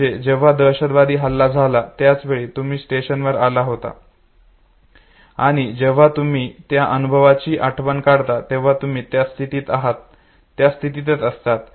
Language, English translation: Marathi, So you were at a given point in time on this station when the terrorist attack took place, and when you recollect the experience it is also the state in which you are okay